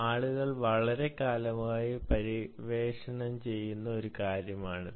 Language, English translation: Malayalam, this is something that people have been, i mean, exploring for a long time now